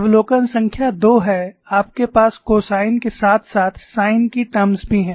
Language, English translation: Hindi, Observation number two is, you have cosine terms as well as sin terms